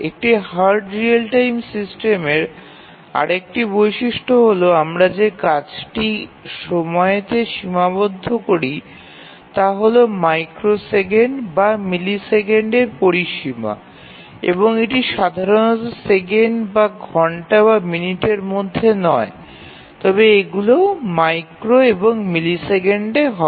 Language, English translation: Bengali, And the another characteristic of a hard real time systems is that the time restrictions that we give to the task are in the range of microseconds or milliseconds, these are not normally in the range of seconds or hours, minutes these are micro and milliseconds